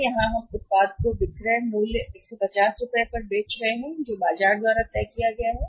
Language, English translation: Hindi, So, here we are selling the product selling price is 150 which is decided by the market